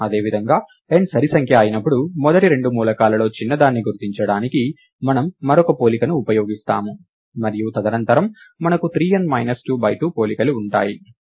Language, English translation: Telugu, Similarly when n is even, we use one more comparison to identify the smaller of the first two elements, and subsequently we have three times n minus 2 by 2 comparisons